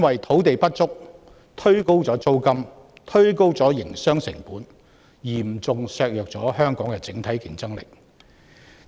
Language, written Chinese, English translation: Cantonese, 土地不足推高了租金及營商成本，嚴重削弱香港的整體競爭力。, Land shortage pushes up rentals and business operation costs severely undermining the overall competitiveness of Hong Kong